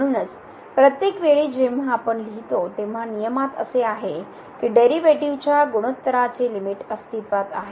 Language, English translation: Marathi, So, that is what in the rule every time we have written provided the limit of the ratio of the derivatives exist